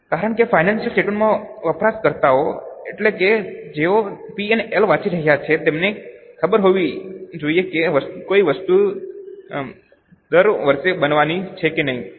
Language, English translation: Gujarati, Because the users of financial statement, that is those who are reading the P&L, should know whether a particular item is going to happen every year or no